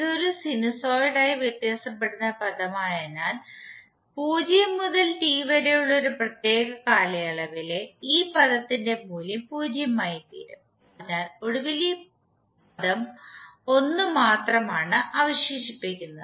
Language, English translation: Malayalam, Since this is a sinusoidally wearing term, so the value of this term over one particular time period that is between 0 to T will become 0, so eventually what we have left with this only term 1